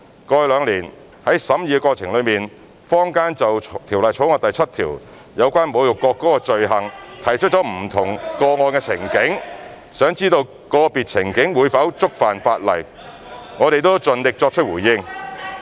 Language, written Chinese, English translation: Cantonese, 過去兩年，在審議的過程中，坊間就《條例草案》第7條有關侮辱國歌的罪行提出不同個案情境，想知道個別情境會否觸犯法例，我們都盡力作出回應。, During the scrutiny over the past two years members of the community have raised different scenarios in respect of the offence of insulting the national anthem provided in clause 7 of the Bill in the hope of understanding whether individual scenario will contravene the law . We have made our best efforts to respond to all these queries